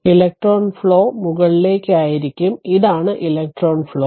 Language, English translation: Malayalam, So, electron flow will be upwards So, this is that electron flow